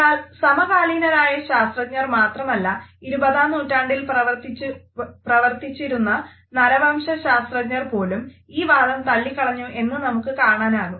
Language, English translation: Malayalam, However, we find that not only the contemporary scientist, but also the anthropologist who were working in the 20th century had rejected this idea